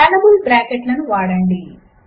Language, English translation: Telugu, Use scalable brackets